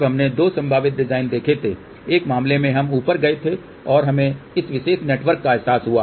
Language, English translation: Hindi, Then we had seen two possible design in one case we had gone up and we realize this particular network